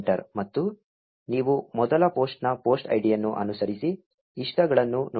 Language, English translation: Kannada, And you see the post id of the first post followed by the likes